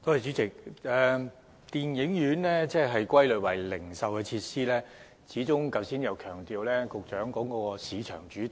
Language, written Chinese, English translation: Cantonese, 主席，電影院被歸類為零售設施，局長剛才又強調市場主導。, President cinema is categorized as a retail facility and the Secretary has just emphasized the market - led approach